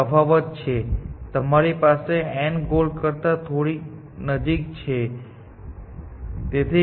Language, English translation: Gujarati, What is the difference; that you have n is little bit closer to the goal